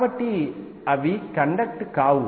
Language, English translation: Telugu, So, they would not conduct